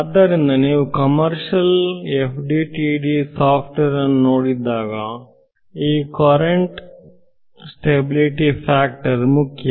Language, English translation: Kannada, So, when you look at commercial FDTD software, one of the most important knobs is this courant stability factor